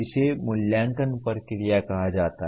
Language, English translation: Hindi, That is called evaluation process